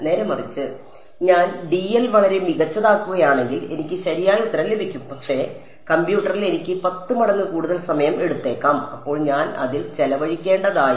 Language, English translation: Malayalam, On the other hand, if I am make dl very very fine, I will get the correct answer, but it may take me 10 times more time on the computer, then I should have spent on it